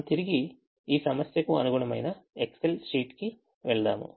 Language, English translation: Telugu, let us go to the excel sheet corresponding problem